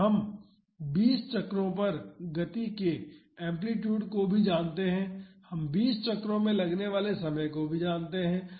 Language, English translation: Hindi, And we also know the amplitude of the motion at 20 cycles and we also know the time taken for twenty cycles